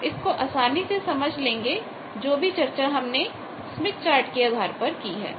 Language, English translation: Hindi, So, please go through, you will understand whatever we have discussed in smith chart based on that